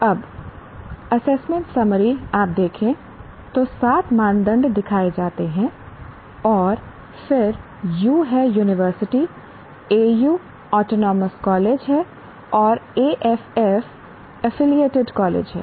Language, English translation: Hindi, Now, the assessment summary if you look at, the seven criteria are shown and then U is university, AU is Autonomous College and AFF is Affiliated College